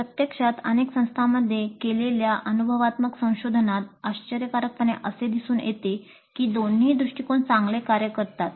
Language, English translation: Marathi, The empirical research actually carried out in several institutes seem to indicate surprisingly that both approaches work well